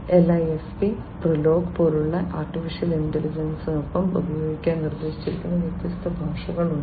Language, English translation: Malayalam, There have been different languages that have been proposed for use with AI like Lisp, PROLOG, etcetera